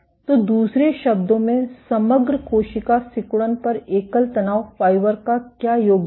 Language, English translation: Hindi, So, in other words, what is the contribution of a single stress fiber on the overall cell contractility